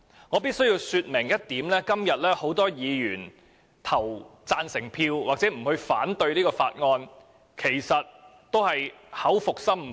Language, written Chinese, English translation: Cantonese, 我必須說明一點，今天很多議員贊成或不反對《條例草案》，其實都是口服心不服的。, I must point out that although many Members have expressed support or non - objection to the Bill they are in fact not genuinely convinced